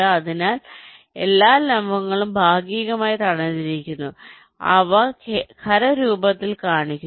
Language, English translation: Malayalam, so all the vertices are partially block, so they are shown as solid